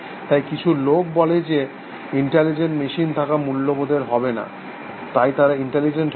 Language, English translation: Bengali, So, some people say, it would not be ethical to have intelligent machines, so they cannot be intelligent